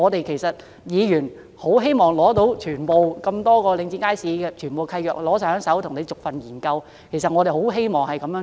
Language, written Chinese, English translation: Cantonese, 其實議員也希望能索取領展轄下所有街市的契約，逐一研究，我們真的很希望能這樣做。, In fact Members wish to have access to the deeds for all the markets under Link REIT and study them one by one . We really hope we can do so . Back to my constituency